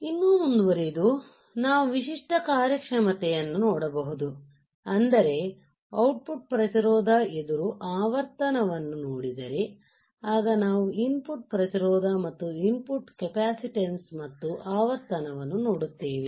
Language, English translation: Kannada, If you go further yeah if you go further what we see typical performance characteristics right output resistance versus frequency, then we see input resistance versus input capacitance versus frequency